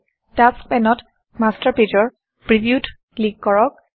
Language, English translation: Assamese, In the Tasks pane, click on the preview of the Master Page